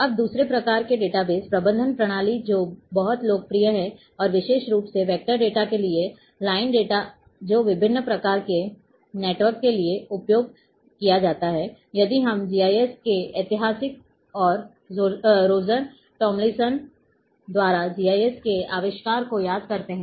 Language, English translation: Hindi, Now, the second type of database management system which is one of the very popular and especially for the vector data, line data which is used for different kind of networks if we recall the history of GIS and the invention of GIS by Roger Tomlinson